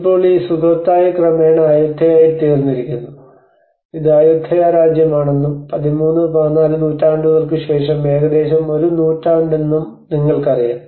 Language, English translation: Malayalam, So now this Sukhothai have gradually becomes the Ayutthaya you know this is the Ayutthaya Kingdom and which is about a century after 13th and 14th century